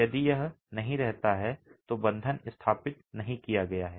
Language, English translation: Hindi, If it doesn't stay, bond has not been established